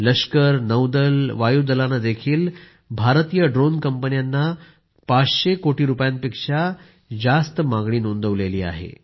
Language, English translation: Marathi, The Army, Navy and Air Force have also placed orders worth more than Rs 500 crores with the Indian drone companies